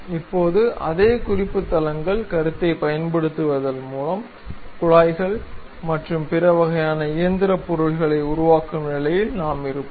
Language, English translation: Tamil, Now, using the same reference planes concept; we will be in a position to construct tubes, pipes and other kind of mechanical objects